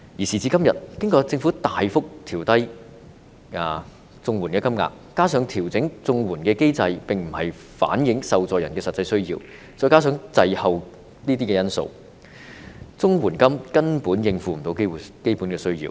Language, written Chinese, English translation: Cantonese, 時至今天，經過政府大幅調低綜援金額，加上調整綜援的機制無法反映受助人的實際需要，再加上滯後等因素，綜援金根本無法應付基本的需要。, At present after substantial downward adjustments in the CSSA rates made by the Government coupled with the fact that the CSSA adjustment mechanism fails to reflect the actual needs of the recipients and due to such factors as a lag in the rates adjustment it is actually impossible for the CSSA rates to meet the basic needs